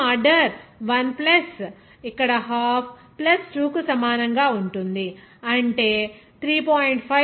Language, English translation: Telugu, Then we can say that overall order will be equal to 1 + here half + 2, that will be 3